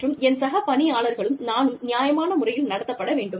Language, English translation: Tamil, Where, my colleagues and i, are being treated fairly